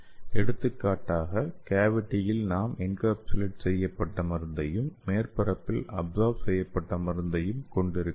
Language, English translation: Tamil, For example in the cavity we can have the encapsulated drug and on the surface we can have the adsorbed drug